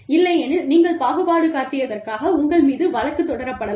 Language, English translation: Tamil, Otherwise, you could be sued, for being discriminatory